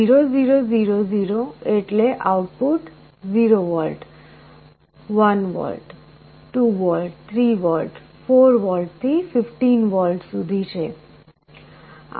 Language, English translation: Gujarati, 0 0 0 0 means output is 0 volts, 1 volt, 2 volts, 3 volts, 4 volts, up to 15 volts